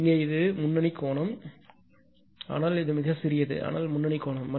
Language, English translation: Tamil, Here, it is leading angle but very small, but leading angle